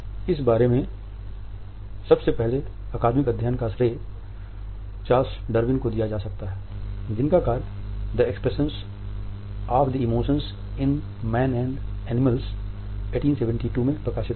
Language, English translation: Hindi, The earliest academic study can be credited to Charles Darwin, whose work The Expression of the Emotions in Man and Animals was published in 1872